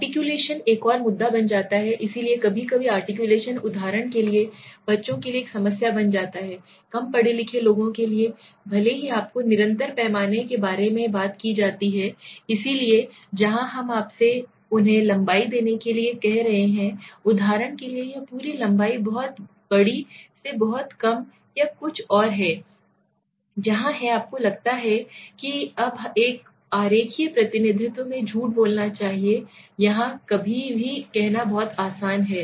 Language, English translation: Hindi, Articulation becomes another issue, so sometimes articulation becomes a problem for example for children s, for less educated people they are even if you remember I had asked about, I has spoken about continuous scale, so where we are asking you giving them a length and he are saying for example this is the entire length from very large to very low or something, where do you feel it should lie now in a diagrammatic representation it is very easy to say somewhere here or somewhere here